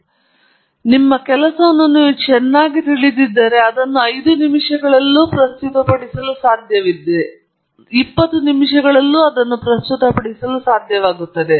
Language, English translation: Kannada, So, ideally, if you know your work very well, you should be able to present it in 5 minutes, you should be able to present it in 20 minutes, you should be able to present it in one hour